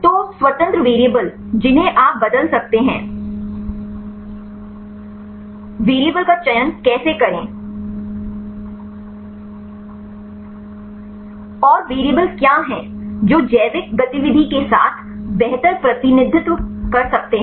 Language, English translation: Hindi, So, the independent variables that you can change; how to select the variables and what are the variables which can better represent with the biological activity